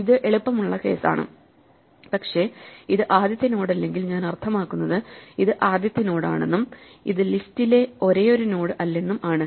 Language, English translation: Malayalam, This is the easy case, but if it is not the first node, I mean, it is the first node and this is not also the only node in the list then what we do is we do what we said before